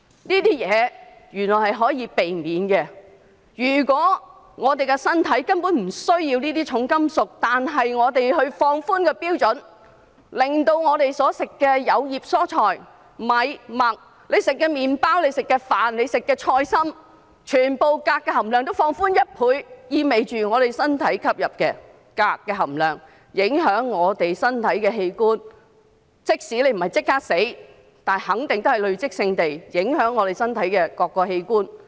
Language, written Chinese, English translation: Cantonese, 這些原來是可以避免的，我們的身體根本不需要這些重金屬，但如果我們放寬標準，令我們所進食的有葉蔬菜、米、麥，以至我們吃的麪包、菜心，全部的鎘含量都放寬1倍，這意味着我們身體吸入的鎘將影響我們身體的器官，即使不是立即死亡，但肯定會累積性地影響我們身體各個器官。, All these are actually avoidable and our body basically does not need these heavy metals . But if the standard were relaxed to the extent that the levels of cadmium in the leafy vegetables rice wheat and even bread and flowering Chinese cabbage consumed by us would all be relaxed by 100 % it means that the absorption of cadmium by our body would affect our organs and even though we would not be killed at once our various organs are set to be affected cumulatively